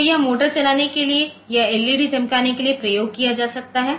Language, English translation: Hindi, So, this is useful for driving motors or say glowing led